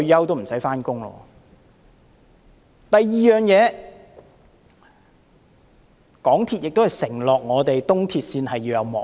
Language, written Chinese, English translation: Cantonese, 第二，港鐵公司亦曾承諾東鐵線會安裝幕門。, Second MTRCL has promised that screen doors will be installed along East Rail Line